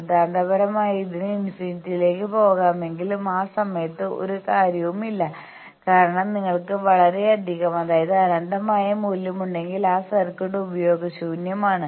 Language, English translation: Malayalam, Though theoretically it can go up to infinity, but in that time there is no point because that circuit is useless, if you have so much of